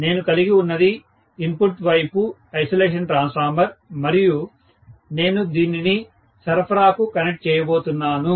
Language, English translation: Telugu, So what I will have is an isolation transformer in the input side like this and I am going to connect this to the supply